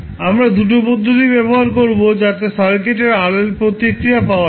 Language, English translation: Bengali, We can use 2 methods to find the RL response of the circuit